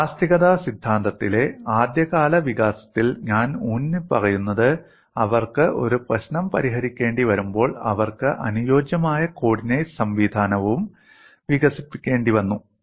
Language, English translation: Malayalam, In the early development of theory of elasticity, when they have to solved a problem parallely they had to develop suitable coordinate system